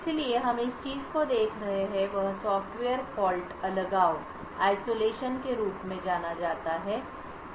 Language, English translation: Hindi, So, what we will be looking at is something known as Software Fault Isolation